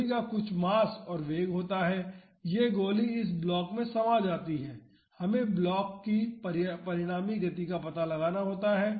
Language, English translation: Hindi, The bullet has some mass and velocity this bullet gets embedded into this block, we have to find out the resulting motion of the block